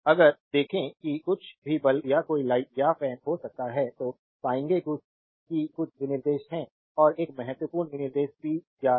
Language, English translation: Hindi, If you see anything can be bulb or any light or fan, you will find some specification is there and one important specification is the power right